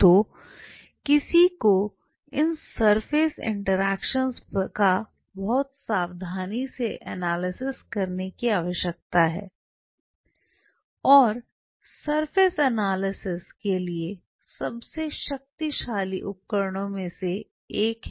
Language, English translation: Hindi, So, one needs to analyze this surface interactions very carefully and for surface analysis one of the most powerful tool